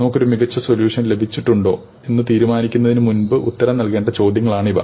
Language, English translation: Malayalam, These are all questions that we need to answer before we can decide on whether we have got the best solution at hand